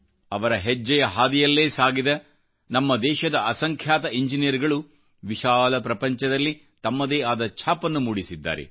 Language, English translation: Kannada, Following his footsteps, our engineers have created their own identity in the world